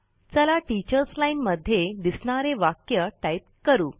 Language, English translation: Marathi, Let us type the sentence displayed in the Teachers line